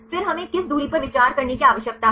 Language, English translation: Hindi, Then the distance which distance we need to consider